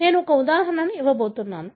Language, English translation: Telugu, I am going to give one example